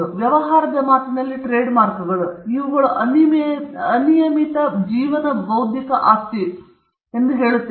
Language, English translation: Kannada, The trademarks, in business parlance, we say these are kind of unlimited life intellectual property